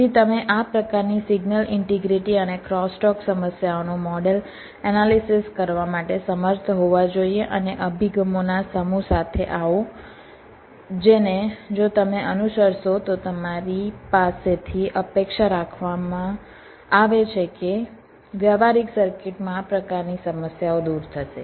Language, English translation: Gujarati, so you should be able to, as a should be able to model, analyze this kind of signal integrity and crosstalk issues and come up with a set of approaches which, if you follow, would expected to ah, to overcome or miss, eliminate this kind of problems in practical circuits